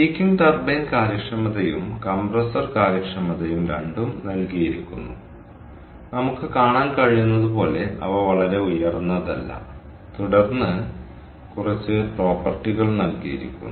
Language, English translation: Malayalam, the peaking turbine efficiencies and the compressor efficiency, both are given and they are not very high as we can see, ok, and then a few properties are given